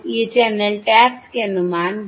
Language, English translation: Hindi, These are the estimates of the channel taps